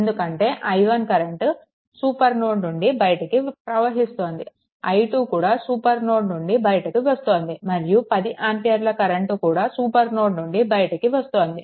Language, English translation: Telugu, So, this because this i 1 also leaving the supernode, i 2 also leaving the supernode and 10 ampere also leaving this because it is 10 ampere current source, right